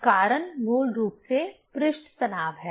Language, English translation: Hindi, So, reason is basically surface tension